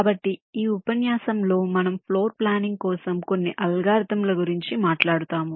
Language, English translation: Telugu, so in this lecture we shall be talking about some of the algorithms for floor planning